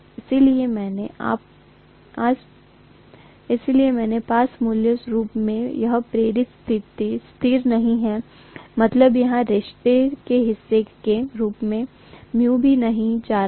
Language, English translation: Hindi, So I have basically this inductance is not a constant means I am also not going to have here mu comes in as the part of the relationship